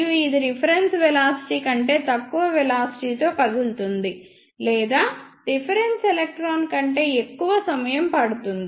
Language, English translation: Telugu, And this will move with velocity less than the reference velocity or this will take more time than the reference electron